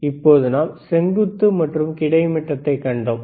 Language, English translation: Tamil, So now, we have the vertical, we have seen the horizontal